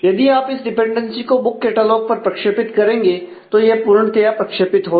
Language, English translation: Hindi, So, now, if you project the; this dependency on book catalogue the dependency will be fully projected